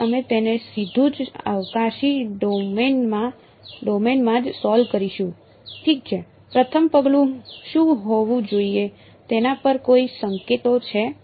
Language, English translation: Gujarati, So, we will solve it directly in the spatial domain itself ok, any hints on what should be the first step